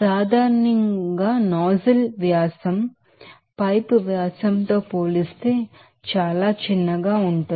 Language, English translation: Telugu, Generally nozzle diameter will be very smaller than compared to this you know pipe diameter